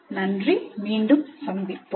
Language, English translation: Tamil, Thank you and we'll meet again